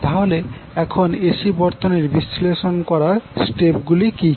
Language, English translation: Bengali, Now what are the steps to analyze the AC circuit